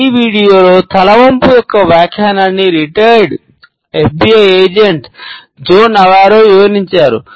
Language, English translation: Telugu, In this video, the interpretation of a head tilt is presented by a retired FBI agent Joe Navarro